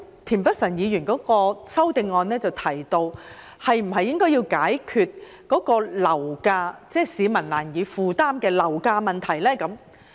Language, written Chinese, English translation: Cantonese, 田北辰議員的修正案提到要解決市民難以負擔的樓價問題。, Mr Michael TIENs amendment mentions the need to resolve the problem of property prices which are beyond the affordability of the public